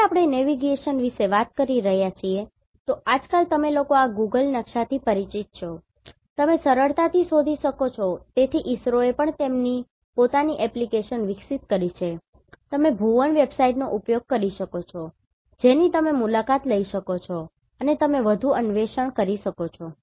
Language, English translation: Gujarati, So nowadays you people are familiar with this Google map, you can easily find out so ISRO has also developed their own app, you can use that Bhuwan website you can visit and you can explore more